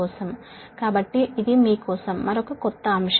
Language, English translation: Telugu, so this is another, another new topic for you, right